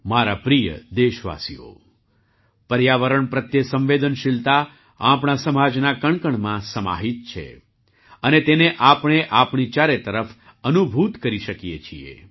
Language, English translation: Gujarati, My dear countrymen, sensitivity towards the environment is embedded in every particle of our society and we can feel it all around us